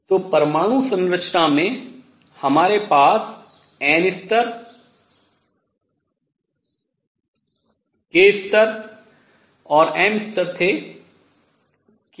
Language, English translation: Hindi, So, in the atomic structure what we had was n level k level and m level